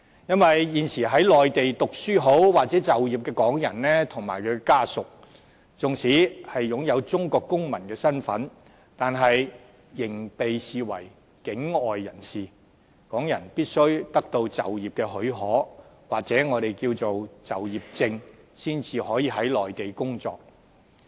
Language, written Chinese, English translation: Cantonese, 因為現時在內地讀書或就業的港人，以及他們的家屬，縱使擁有中國公民的身份，但仍被視為境外人士，港人必須得到就業的許可，或我們稱為就業證，才可以在內地工作。, Because at present the Hong Kong people studying or working in the Mainland as well as their family members are still regarded as people outside the Mainland despite their identity as Chinese citizens . Hong Kong people must obtain employment permission or employment permits before they can work in the Mainland